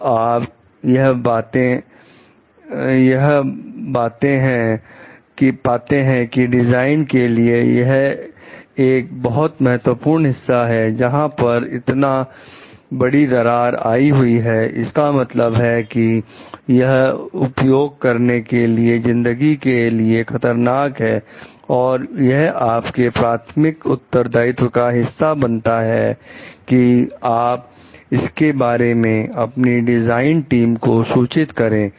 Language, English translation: Hindi, When you find like it is an important part of the design where extensive cracking, means it could risk the life of the users it is a part of your primary responsibility to like report it to your design team